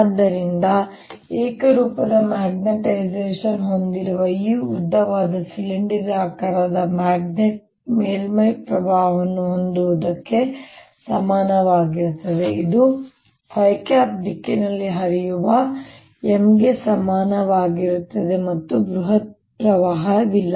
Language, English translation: Kannada, so this long, slender cylindrical magnet having uniform magnetization is equivalent to having surface current which is equal to m, flowing in phi direction and no bulk current